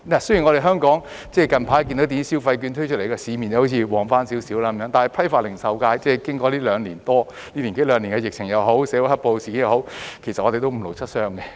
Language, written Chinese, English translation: Cantonese, 雖然近來電子消費券推出後，香港的市面好像興旺了一點，但批發及零售界經過這一年多兩年的疫情或社會"黑暴"事件，已經五勞七傷。, Although it seems that the market in Hong Kong has become a little more buoyant after the recent launch of electronic consumption vouchers the wholesale and retail sectors after the epidemic lasting a year or so and the black - clad social incidents have been badly hit